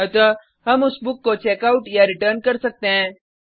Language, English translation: Hindi, So that we can Checkout/Return that book